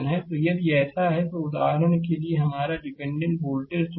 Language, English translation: Hindi, So, if you if you do so, this is for example, this is dependent your voltage source